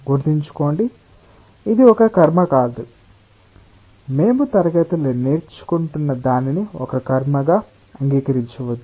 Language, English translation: Telugu, do not accept anything whatever we are learning in the class as a ritual